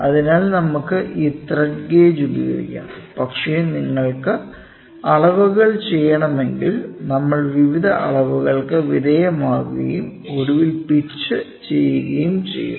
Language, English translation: Malayalam, So, we can use this thread gauge, but if you want to do measurements then we will undergo various elements in measurement and finally pitch